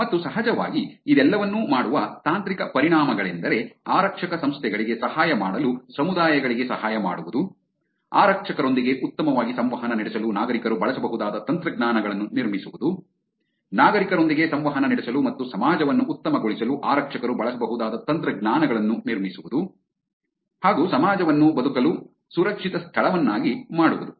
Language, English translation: Kannada, And of course, the technical implications of doing all this is helping communities to help the police organizations, build technologies which can be used by citizens to interact with police better, build technologies that police can use for interacting with citizens better and making the society a safer place to live